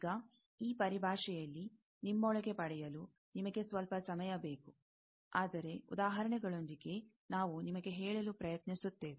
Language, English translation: Kannada, Now, you need some time to get it inside you that this terminology; but, with examples, we will try to tell you